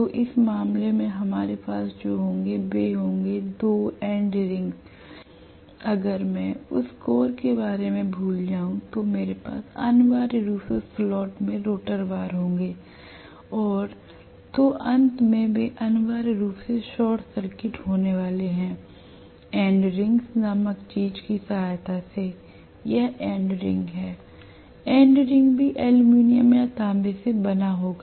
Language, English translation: Hindi, So what we are going to have in this case is two end rings will be there, if I forget about the core I am going to have essentially the rotor bars being you know in the slot and at the ends they are going to be essentially short circuited with the help of something called end rings, so this is the end ring